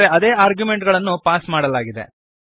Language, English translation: Kannada, But the arguments passed are same